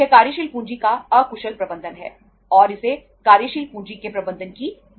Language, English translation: Hindi, That is the efficient management of the working capital and that is called as the lack of management of the working capital